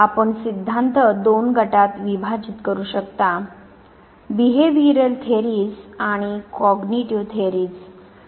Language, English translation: Marathi, you can by and large divide the theories into two groups the behavioral theories and the cognitive theories